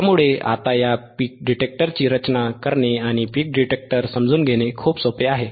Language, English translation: Marathi, So, now, it is very easy right very easy to design this peak detector it is very easy and to understand the peak detector